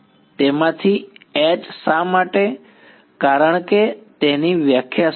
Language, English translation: Gujarati, H from it why because what is the definition of right